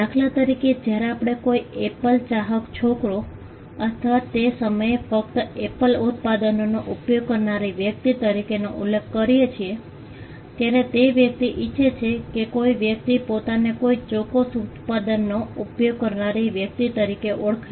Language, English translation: Gujarati, For instance, when we refer to a person as an Apple fan boy or a person who uses only Apple products then, the person wants himself to be identified as a person who uses a particular product